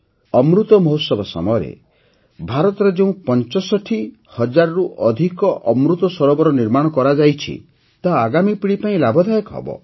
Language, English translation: Odia, The more than 65 thousand 'AmritSarovars' that India has developed during the 'AmritMahotsav' will benefit forthcoming generations